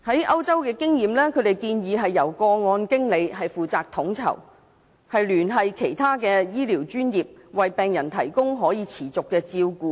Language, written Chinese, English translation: Cantonese, 以歐洲經驗為例，由個案經理負責統籌，聯繫其他醫療專業，為病人提供可持續的照顧。, Take the experience in Europe as an example case managers are responsible for coordinating health professionals to provide patients with sustainable care